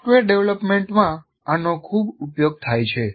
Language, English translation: Gujarati, This is very, very much used in software development